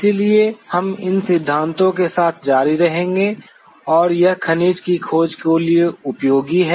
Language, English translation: Hindi, So, we will be continuing with these principles and it is utility for mineral exploration